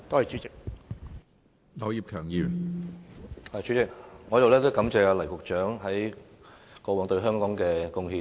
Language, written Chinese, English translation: Cantonese, 主席，我首先感謝黎局長過往對香港作出的貢獻。, President first of all I would like to thank Secretary LAI Tung - kwok for his past contribution to Hong Kong